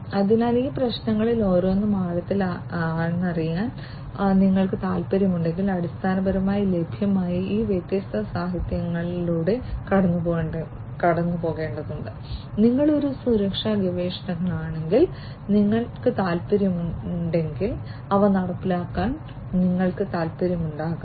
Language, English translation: Malayalam, So, if you are indeed interested to deep to drill deep down into each of these issues you have to basically go through these different literatures that are available and if you are also interested if you are a security researcher you might be interested to implement them